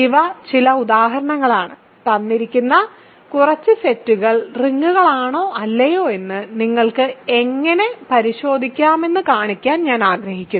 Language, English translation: Malayalam, So, these are some of the examples, I wanted to do which show that you have how to verify if a few given sets are rings or not ok